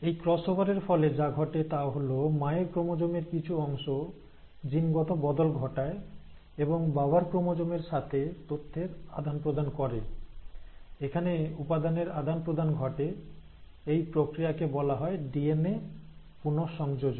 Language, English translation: Bengali, So what happens is because of this cross over, there is a genetic shuffling of some part of the mother’s chromosome will exchange information with the father’s chromosome, and there is an interchange of material; this process is also called as DNA recombination